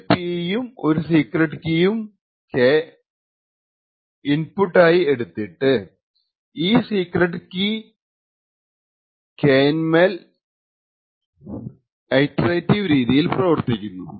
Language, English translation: Malayalam, So, this small circuit it takes as an input P and it takes a secret K and then operates on this secret in an iterative manner